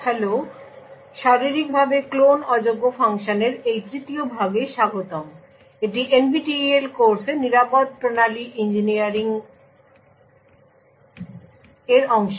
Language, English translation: Bengali, this 3rd part of physically unclonable functions, this is part of the NPTEL course Secure Systems Engineering